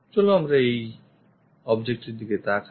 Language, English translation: Bengali, Let us look at this object